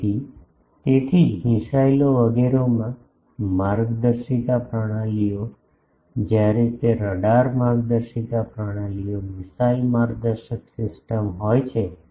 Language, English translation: Gujarati, , guidance systems, they are, when there are radar guidance systems, missile guidance system